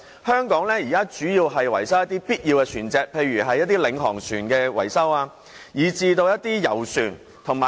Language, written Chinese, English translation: Cantonese, 香港的船廠現時主要維修一些必要的船隻，例如領航船及遊船。, At present shipyards in Hong Kong are engaged mainly in repairs and maintenance of certain essential vessels like pilot boats and yachts